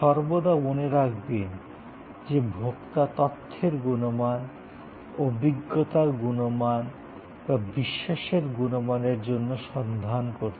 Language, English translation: Bengali, Always, remembering that the consumer is looking either for the information quality, experience quality or credence quality